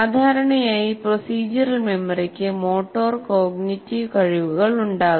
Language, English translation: Malayalam, So, generally procedural memory will have both the motor, involves motor and cognitive skills